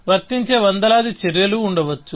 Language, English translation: Telugu, There may be hundreds of applicable actions